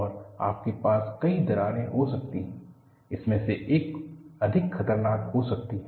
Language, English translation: Hindi, And you can have multiple cracks, one of them may be more dangerous